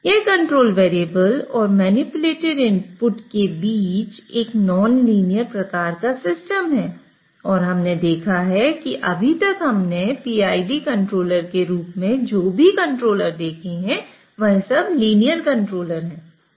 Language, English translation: Hindi, So this is sort of a nonlinear system between the control variable and manipulated input and we have seen that the controllers which we have seen so far in terms of PID control, all those are linear controllers